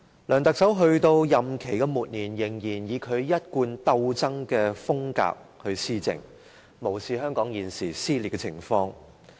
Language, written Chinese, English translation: Cantonese, 梁特首在其任期末年，仍然以其一貫鬥爭風格施政，無視香港現時的撕裂情況。, Even at the end of his term of office Chief Executive LEUNG Chun - ying still clings to his belligerency of governance totally ignoring the present split of Hong Kong